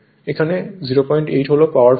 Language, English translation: Bengali, 8 is the power factor